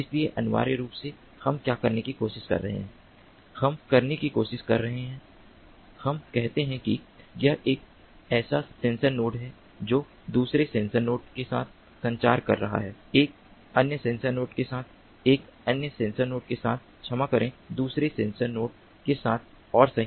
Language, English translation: Hindi, we are trying to have, so, let us say, the this is one such sensor node communicating with another sensor node, with another sensor node, with another sensor node sorry, with another sensor node, and right, so we are going to form a sensor network